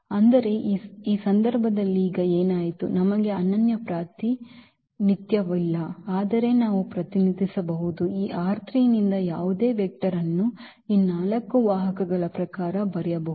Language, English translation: Kannada, But what happened now in this case we do not have a unique representation, but we can represented, we can write down any vector from this R 3 in terms of these given four vectors